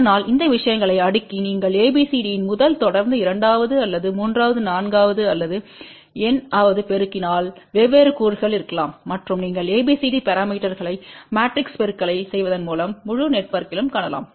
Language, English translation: Tamil, So, you can keep cascading these things and simply by multiplying ABCD of first to second to third or fourth or nth different components can be there and you can find ABCD parameters of the entire network simply by doing the matrix multiplication